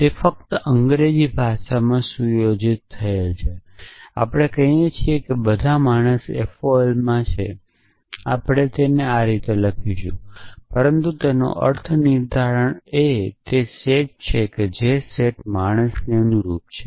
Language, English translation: Gujarati, That is just set in English language we say that all men are mortal in FOL we will write it like this, but the semantics of that is that the set which corresponds to the set man